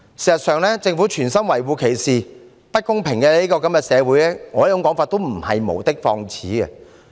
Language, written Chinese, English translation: Cantonese, 事實上，政府存心維護歧視、不公平社會的說法，亦不是我無的放矢。, In fact my argument that the Government intends to condone discrimination and inequality in society is not groundless